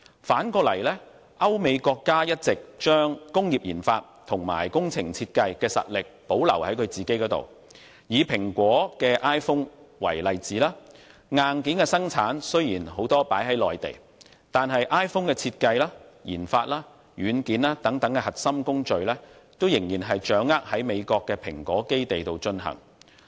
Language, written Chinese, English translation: Cantonese, 反之，歐美國家一直將工業研發和工程設計的實力保留於本土，以蘋果的 iPhone 為例，雖然很多的硬件都在中國內地生產，但 iPhone 的設計、研發和軟件等核心工序仍然在美國的蘋果基地進行。, On the contrary countries in Europe and the United States have all along kept their strength in industrial RD and project design within their homelands . Take Apple iPhone as an example . Although many of its hardware is manufactured in Mainland China core processes such as design RD and software are still carried out in the base of the company in the United States